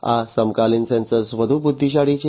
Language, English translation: Gujarati, These contemporary sensors have been made much more intelligent